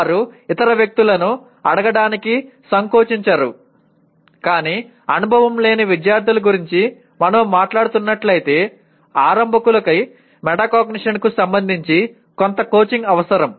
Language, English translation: Telugu, They do not mind asking other people but at the time of in the age group that we are talking about the novice students you can say, novices will require some coaching with respect to metacognition